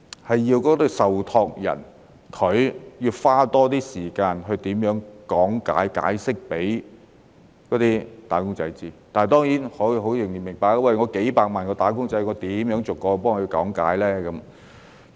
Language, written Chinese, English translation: Cantonese, 所以，受託人必須多花一點時間講解給"打工仔"知道，但當然，我也明白，有數百萬名"打工仔"，如何逐一講解呢？, Hence the trustees must spend more time on making explanations to the wage earners . Yet of course I also understand that as there are several million wage earners how can they explain to each and every one of them?